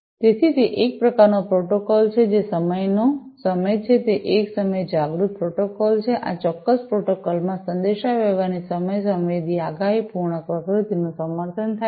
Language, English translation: Gujarati, So, and it is sort of a protocol that is time ever, it is a time aware protocol, time sensitive predictive nature of communication is supported in this particular protocol